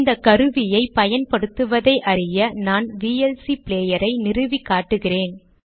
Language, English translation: Tamil, To learn how to use this tool, I shall now install the vlc player as an example